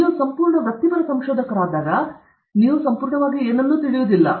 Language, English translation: Kannada, When you become a fully professional researcher, then you know completely about nothing